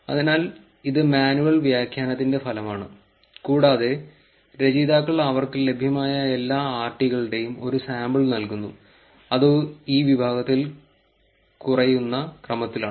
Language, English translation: Malayalam, So this is the outcome of the manual annotation, and the authors are just giving you a sample of all the RTs that they had which is in the decreasing order here, the category here